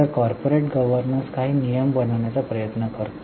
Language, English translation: Marathi, So, corporate governance seeks to form certain rules